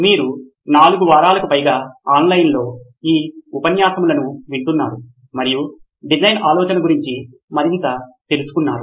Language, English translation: Telugu, It’s been over 4 weeks that you have been listening to these lectures online and finding out more about design thinking